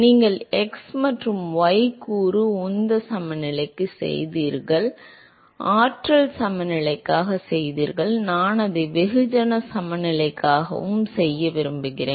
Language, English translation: Tamil, You done for x and the y component momentum balance, done for the energy balance, I wanted to do it for mass balance also